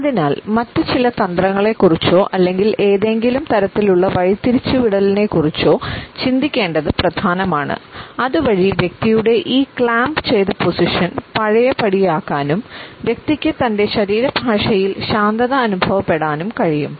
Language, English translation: Malayalam, And therefore, it becomes important to think of his certain other strategy to think for certain type of a diversion so that this clamped position can be undone and the person can be relaxed in body language